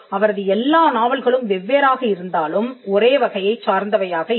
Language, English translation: Tamil, And almost all her works are entirely different though they all fall within the same genre